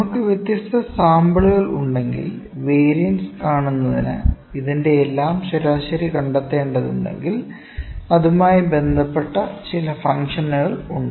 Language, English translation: Malayalam, If we having different samples and we have need to find the averages of all this we need to see the variance, there is some function associated with that, ok